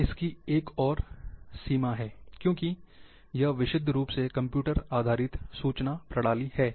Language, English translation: Hindi, This is another limitation, because it is purely computer based information system